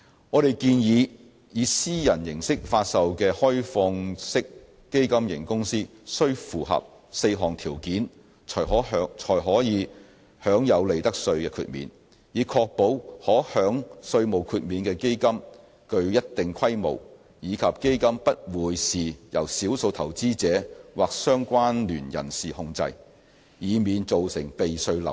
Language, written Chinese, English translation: Cantonese, 我們建議，以私人形式發售的開放式基金型公司須符合4項條件，才可享有利得稅豁免，以確保可享稅項豁免的基金具一定規模，以及不會是由少數投資者或相關聯人士控制，以免造成避稅漏洞。, We propose that a privately offered OFC should satisfy four conditions in order to ensure that tax - exempt OFCs shall be of a certain scale and will not be controlled by a small number of investors or affiliated persons so as to prevent the creation of tax - avoidance loopholes